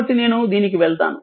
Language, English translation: Telugu, So, let me go to this